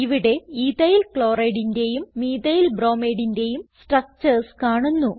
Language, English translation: Malayalam, Here you can see EthylChloride and Methylbromide structures